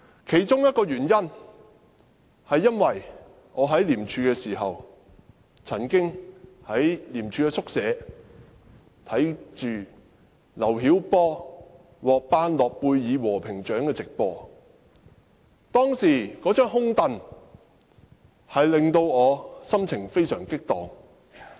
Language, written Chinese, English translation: Cantonese, 其中一個原因是，我曾經在廉署宿舍觀看劉曉波獲頒諾貝爾和平獎的電視直播，那張"空櫈"令我心情激盪。, Here is one of the reasons . When I watched the live television broadcast of awarding the Nobel Peace Prize to LIU Xiaobo in the ICAC quarter I was emotionally aroused by the empty chair